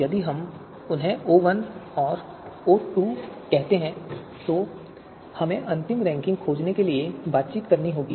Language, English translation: Hindi, So and then if we call them O1 and O2, then we will have to take an interaction to find the final ranking